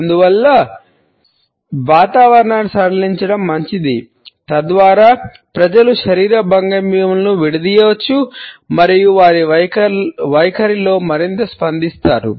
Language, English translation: Telugu, And therefore, it is advisable to relax the atmosphere so that the people can uncross the body postures and be more receptive in their attitudes